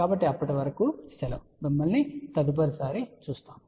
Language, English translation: Telugu, So, till then have a good time we will see you next time